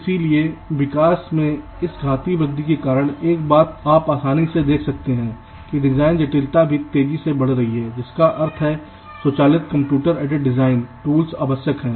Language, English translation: Hindi, so, because of this exponential increase in growth, one thing you can easily see: the design complexity is also increasing exponentially, which means automated computer aided design tools are essential